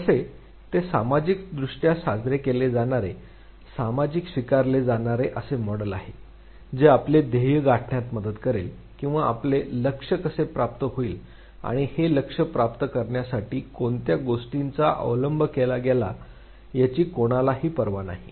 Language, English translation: Marathi, How, whether it is a socially celebrated, socially acceptable model of behavior which will help you attain the goal or any how you attain the goal and nobody will care what means was adopted to attain that goal